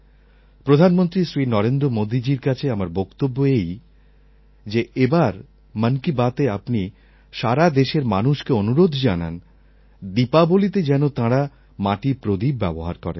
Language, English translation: Bengali, I want to give the message to Prime Minister, Shri Narendra Modi ji to request all the people of India through his programme "Mann Ki Baat" to use as much earthen lamps diya as they can this Diwali